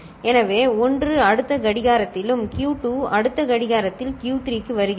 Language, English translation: Tamil, So, 1 comes here in the next clock and Q2 comes to Q3, in the next clock